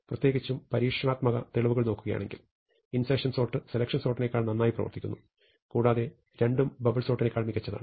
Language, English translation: Malayalam, In particular it turns out that if you actually look at experimental evidence, then insertion sort usually behaves better than selection sort, and both of them are better than bubble sort